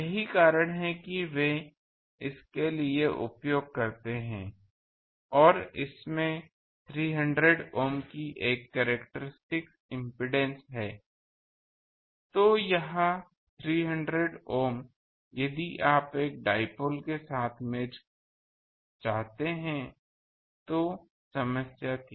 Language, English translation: Hindi, That is why they use for this and it has a characteristic impedance of 300 Ohm; so, this 300 Ohm, if you want to match with a dipole that was problem